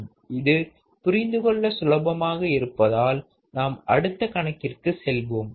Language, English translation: Tamil, So, this is easy to understand and that is why let us keep moving on to the next problem